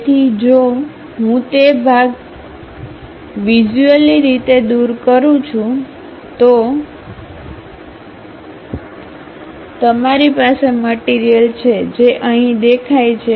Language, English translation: Gujarati, So, if I remove that part visually, you have material which is visible here